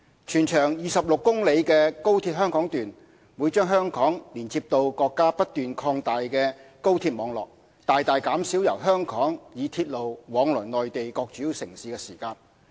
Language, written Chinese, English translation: Cantonese, 全長26公里的高鐵香港段，會把香港連接至國家不斷擴大的高鐵網絡，大大減少由香港以鐵路往來內地各主要城市的時間。, The 26 km - long Hong Kong section of XRL will connect Hong Kong to the continuously expanding national high - speed rail network substantially reducing the rail journey time between Hong Kong and various major Mainland cities